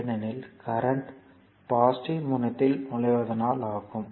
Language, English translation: Tamil, So, it is it is entering into the positive terminal